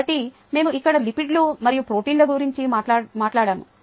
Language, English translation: Telugu, so we talked about lipids here and proteins